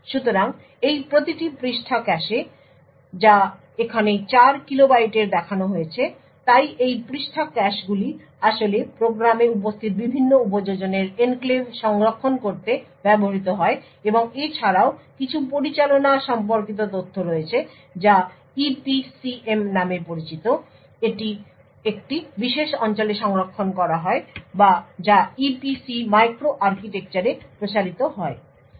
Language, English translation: Bengali, So each of this page caches which is shown over here is of 4 kilo bytes so this page caches are used to actually store the enclaves of the various applications present in the program and also there is some management related information which is stored in a special region known as the EPCM or which expands to EPC Micro Architecture